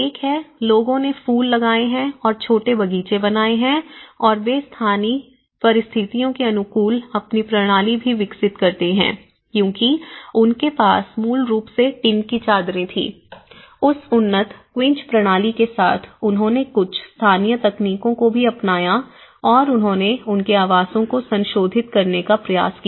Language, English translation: Hindi, One is, people have planted flowers and make the small gardens and they also develop their own system adapted to the local conditions, so because they had tin sheets basically, with this advanced I mean upgraded quincha system, they also adopted certain local techniques and they try to modify their dwellings